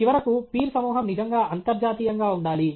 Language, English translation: Telugu, Then, finally, the peer group must be truly international